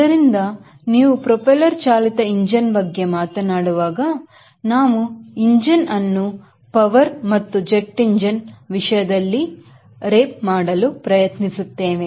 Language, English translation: Kannada, so whenever you are talking about propeller driven engine, we try to read the engine in terms of power and jet engine we try to read them in terms of thrust